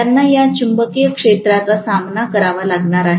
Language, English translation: Marathi, They are going to face this magnetic field